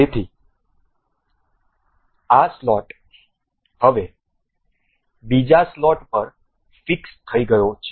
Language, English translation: Gujarati, So, this slot is now fixed over other